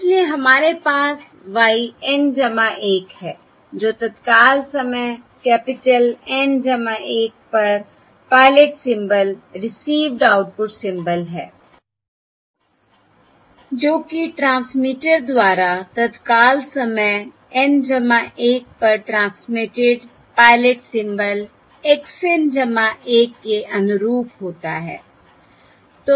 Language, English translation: Hindi, okay, So we have y N plus 1, which is the pilot symbol, received output symbol at time instant capital N plus 1, corresponding to the pilot symbol x N plus 1 transmitted at time, instant N plus 1 by the transmitter